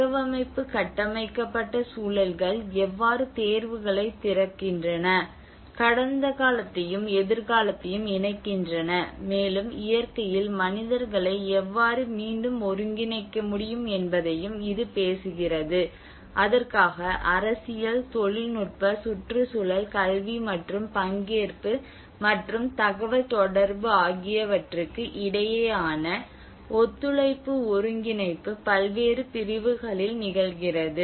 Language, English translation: Tamil, And this also talks about how the adaptive built environments open up choices, connect past and future, and how it can reintegrate the humans in nature for which cooperation coordination between various agencies political, technological, ecological, educational and as well as the participation and communication across various segments the global actors in the National